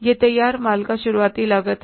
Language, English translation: Hindi, This is the opening stock of the finished goods